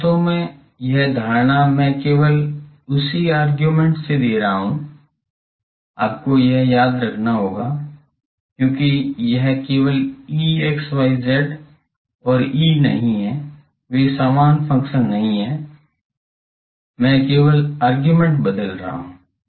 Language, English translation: Hindi, Actually this notation itself I am remaining same only by argument I am changing, you will have to remember this, because it is not simply that E x y z and E they are not same functions, only I am changing argument not that